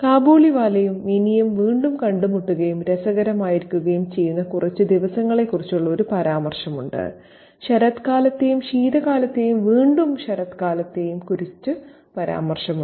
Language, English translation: Malayalam, There's a reference to one morning when the Kabliwala enters the world of Minnie and her father and there's a reference to a few days when Kabaliwala and Minnie meet again and have their fun, there are references to autumn and winter and autumn again